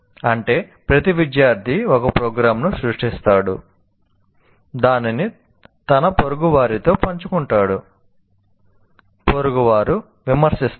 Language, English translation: Telugu, That means each student programs creates a program, shares it with the, let us say, his neighbor, and the neighbor will critic and you critic the neighbor's program